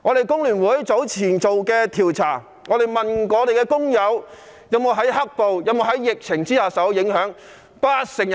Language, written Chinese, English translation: Cantonese, 工聯會早前進行一項調查，訪問工友在"黑暴"及疫情下有否受到影響。, Earlier on the Hong Kong Federation of Trade Unions FTU conducted a survey to see if workers have been affected by black violence and the outbreak of the epidemic